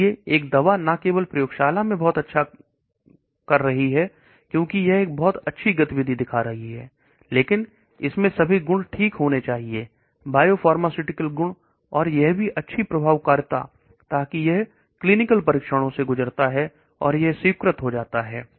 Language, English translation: Hindi, So a drug is not only doing very well in the lab because it is showing a very good activity, but it should also have all the properties okay the biopharmaceutical properties, and also this good efficacy, so that it passes the clinical trials and it gets approved